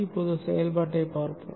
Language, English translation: Tamil, Now let us see the operation